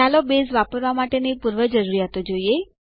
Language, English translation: Gujarati, Let us look at the Prerequisites for using Base